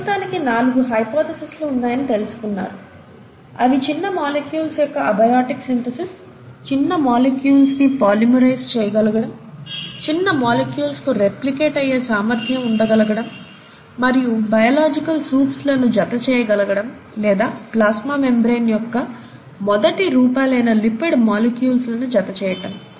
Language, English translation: Telugu, But for now, so you find that there have been four hypotheses, abiotic synthesis of small molecules, polymerization of small molecules, ability of the small molecules to replicate, and then, the enclosure of these biological soups, or these biological molecules by means of lipid molecules, and probably the earliest forms of plasma membrane